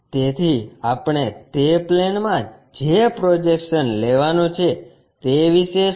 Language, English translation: Gujarati, So, what about the projections we are going to get on that plane